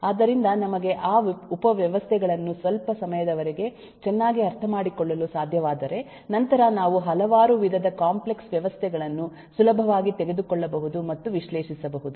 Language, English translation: Kannada, so if we can understand those subsystems well over a period of time then we can approach and analyze several varieties of complex systems quite easily